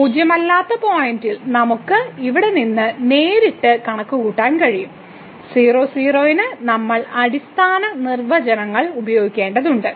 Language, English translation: Malayalam, So, at non zero point that non zero point, we can directly compute from here and at we have to use the fundamental definitions